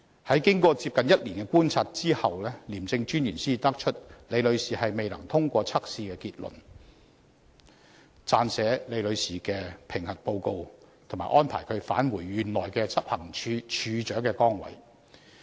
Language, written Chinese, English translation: Cantonese, "在經過接近1年的觀察後，廉政專員才得出李女士未能通過測試的結論及撰寫李女士的評核報告，並安排她返回原來的執行處處長崗位。, After almost a year of observation the ICAC Commissioner came to the conclusion that Ms LI could not pass the test . He then wrote an appraisal report on her performance and arranged for her return to the original post of Director of Investigation